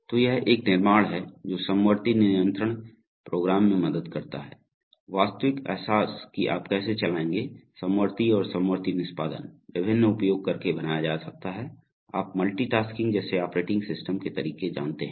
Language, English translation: Hindi, So this is a construct that helps concurrent control programs, the actual realization how you will run, concurrent and concurrent executions the, can be made using various, you know operating system methodologies such as multitasking